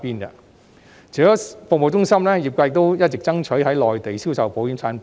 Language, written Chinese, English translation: Cantonese, 除了服務中心，業界亦一直爭取在內地銷售保險產品。, In addition to the service centres the industry has also been striving for the sale of insurance products in the Mainland